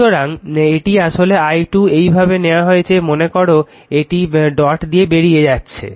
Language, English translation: Bengali, So, this is actually i 2 this is taken like this right suppose it is leaving the dot